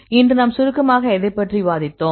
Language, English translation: Tamil, So, what do we discuss today in summarizing